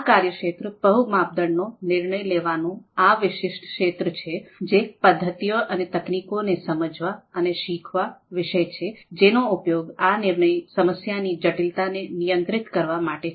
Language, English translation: Gujarati, And this particular domain, this particular area of multi criteria decision making is about understanding, learning those methods and techniques, which can actually be used to you know handle the complexity of these decision problems